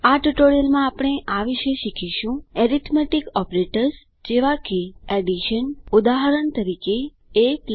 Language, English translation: Gujarati, In this tutorial, we will learn about Arithmetic operators like + Addition: eg